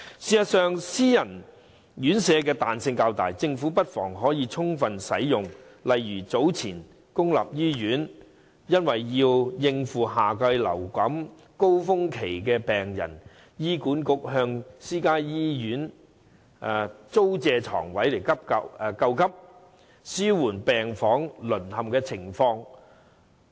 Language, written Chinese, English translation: Cantonese, 事實上，私營院舍的彈性較大，政府不妨充分利用，例如早前公立醫院為應付夏季流感高峰期的病人，醫院管理局便向私家醫院租借床位救急，紓緩病房淪陷的情況。, In fact self - financing RCHEs enjoy greater flexibility and the Government may as well take full advantage of it . For instance some time ago to cope with the surge in patients during the summer flu epidemic at public hospitals the Hospital Authority rented beds from private hospitals as an emergency relief to the disruption at public hospital wards